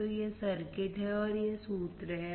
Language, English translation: Hindi, So, this is the circuit and this is the formula